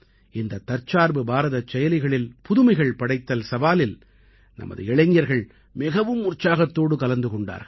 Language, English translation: Tamil, Our youth participated enthusiastically in this Aatma Nirbhar Bharat App innovation challenge